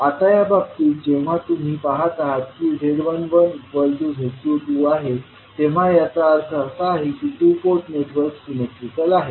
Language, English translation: Marathi, Now in case, when you see that Z11 is equal to Z22, it means that the two port network is symmetrical